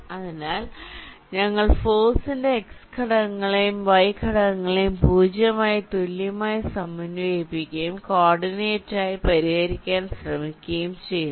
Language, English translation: Malayalam, so we are separately equating the x components and y components of the force to a zero and trying to solve for the coordinate